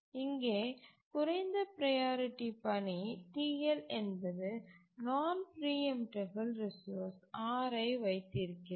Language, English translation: Tamil, So, here a low priority task, TL, is holding a non preemptible resource R